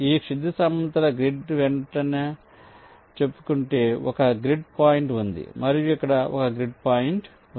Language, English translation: Telugu, let say, along the grid i have one grid point, let say here and one grid point here